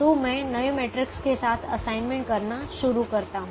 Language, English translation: Hindi, so i start making assignments with the new matrix